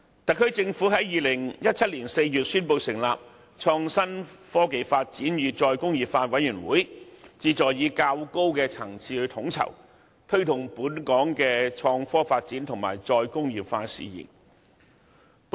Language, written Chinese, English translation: Cantonese, 特區政府在2017年4月宣布成立創新、科技及再工業化委員會，旨在藉較高層次的統籌，推動本港的創科發展和"再工業化"事宜。, In April 2017 the SAR Government announced the establishment of the Committee on Innovation Technology and Re - industrialization to promote the development of IT and re - industrialization in Hong Kong through coordination at a higher level